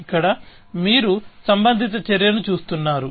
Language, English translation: Telugu, Here, you are looking at a relevant action